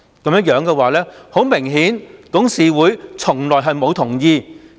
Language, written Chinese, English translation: Cantonese, 顯而易見，董事會從來沒有同意。, One thing is very obvious though The board of directors never gave its consent